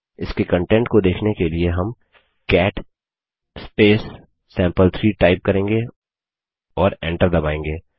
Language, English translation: Hindi, Let us see its content, for that we will type cat space sample3 and press enter